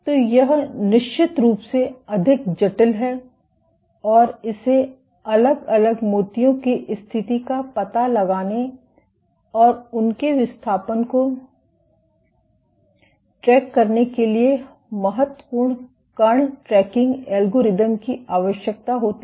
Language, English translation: Hindi, So, this is of course, way more complicated and it requires important particle tracking algorithms to find out, to detect the position of individual beads and to track their displacement